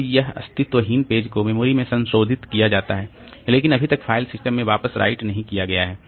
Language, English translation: Hindi, Then pages modified in memory but not yet written back to the file system